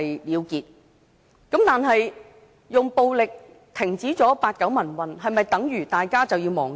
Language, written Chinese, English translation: Cantonese, 然而，用暴力停止了八九民運，是否等於大家就要忘記？, The 1989 pro - democracy movement was ended with violence but does it mean that we have to forget it?